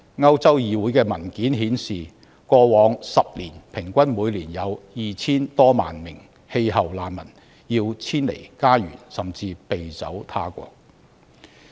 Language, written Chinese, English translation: Cantonese, 歐洲議會的文件顯示，過去10年平均每年有 2,000 多萬名氣候難民要遷離家園，甚至避走他國。, According to the papers of the European Parliament an average of over 20 million climate refugees were forced to move away from their home or even flee to another country in each of the last 10 years